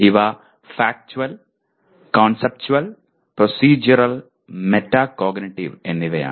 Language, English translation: Malayalam, These are Factual, Conceptual, Procedural, and Metacognitive